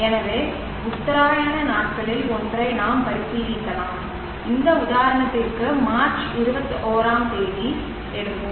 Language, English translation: Tamil, So we can consider one of the equinoxes days and let us say for this example we will take March 21st